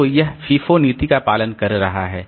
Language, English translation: Hindi, So, this is otherwise following the FIFO policy